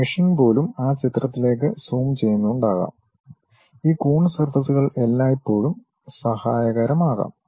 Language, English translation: Malayalam, Even meshing, may be locally zooming into that picture, this Coons surfaces always be helpful